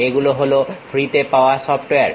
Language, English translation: Bengali, These are the freely available software